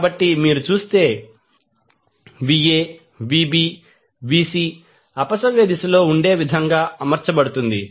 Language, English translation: Telugu, So, Va Vb Vc you will see will be arranged in such a way that it is counterclockwise